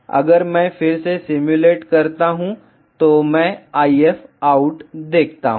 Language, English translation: Hindi, If I simulate again, I see the IF out